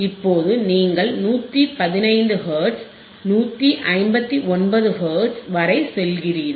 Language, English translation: Tamil, Now, you go down all the way to 115 159 Hertz, 159 Hertz